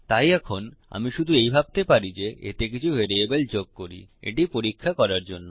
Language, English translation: Bengali, So now, all I can really think is about to add a few variables in to this test